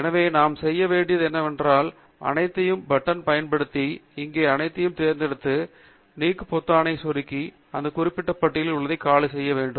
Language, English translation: Tamil, So, what we need to do is select all of them using the All button here, and click on the button Delete, so that to that particular list becomes empty